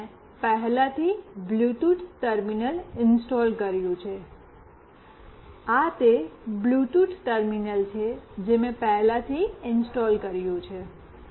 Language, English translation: Gujarati, So, I have already installed a Bluetooth terminal, this is the Bluetooth terminal that I have already installed